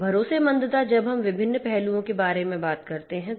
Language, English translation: Hindi, Trustworthiness when we talk about has different different facets